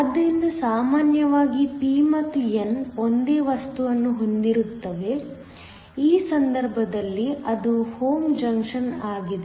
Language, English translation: Kannada, So, usually the p and n are of the same material, in which case it is a homo junction